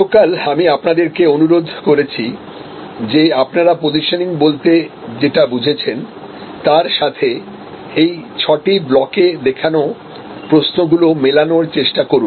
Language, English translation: Bengali, I had requested you yesterday that you combine this understanding of positioning with these sets of questions in front of you in these six blocks